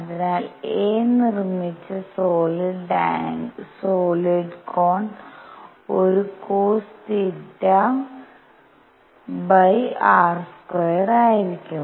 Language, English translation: Malayalam, So, the solid angle made by a is going to be a cosine of theta over r square